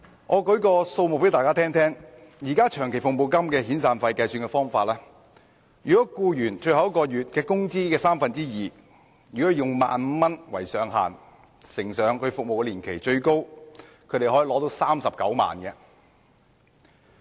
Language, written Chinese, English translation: Cantonese, 我為大家舉出一些數字，現時長期服務金及遣散費的計算方法，是以僱員最後一個月工資的三分之二，再乘以服務年期，最高款額可達39萬元。, Let me cite some figures to Members . At present the amount of long service payment and severance payment is calculated by multiplying two thirds of the last months wages of an employee with his years of service and the maximum amount payable to an employee is 390,000